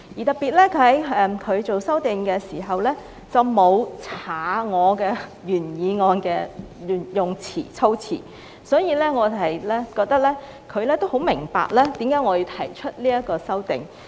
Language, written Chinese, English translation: Cantonese, 特別的是田北辰議員作出修訂時，沒有刪去我原議案的措辭，所以我們認為他也很明白為何我要提出這項議案。, When Mr Michael TIEN amended my motion he did not delete the wordings of my original motion . We thus think that he understands why I propose this motion